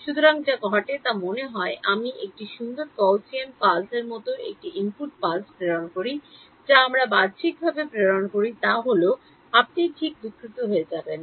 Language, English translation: Bengali, So, what happens is suppose I send a input pulse like this nice Gaussian pulse we send like this outward happens is you will get distorted right